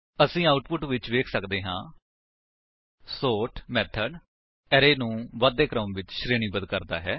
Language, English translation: Punjabi, As we can see in the output, the sort method has sorted the array in the ascending order